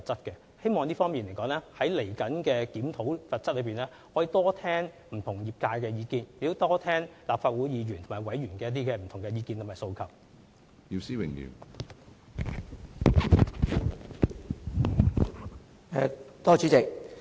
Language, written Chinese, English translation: Cantonese, 關於這方面，希望稍後在檢討有關罰則時，可以多聽取不同業界的意見，以及立法會議員和委員的意見及訴求。, On this issue I hope that during the review of the penalties we will be able to collect more views from different trades and listen to the opinions and aspirations of Legislative Council Members